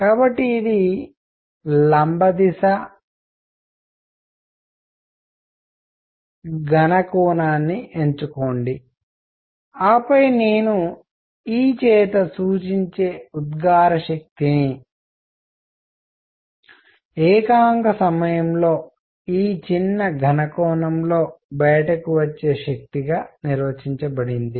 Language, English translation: Telugu, So, this is perpendicular direction, choose a solid angle delta omega, then emissive power which I will denote by e is defined as energy coming out in this small solid angle in per unit time